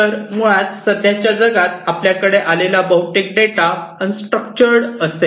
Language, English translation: Marathi, So, basically most of the data that we encountered in the present day world, would be unstructured